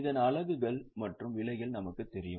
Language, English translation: Tamil, The units purchased is known and the price is also known